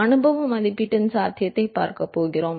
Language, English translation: Tamil, Going to look at the possibility of empirical estimation